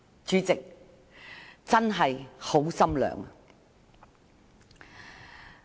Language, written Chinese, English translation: Cantonese, 主席，我真的很心寒。, President this really casts a chill in my heart